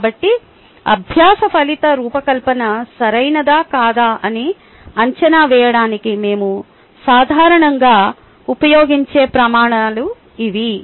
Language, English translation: Telugu, so these are the criteria that we normally use to evaluate where the learning outcome design is proper or not